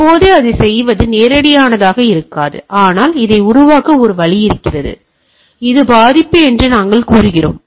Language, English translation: Tamil, Now it is may not be that straight forward to do in that, but there is a way to create this what we say it is a vulnerability, right